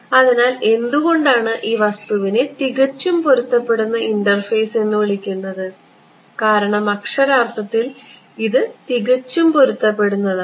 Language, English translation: Malayalam, So, what why is this thing called a perfectly matched interface and the reason is very very literal perfectly matched